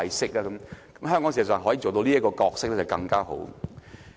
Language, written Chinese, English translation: Cantonese, 事實上，如香港可以做到這個角色，便會更好。, In fact it is better if Hong Kong can fulfil such a role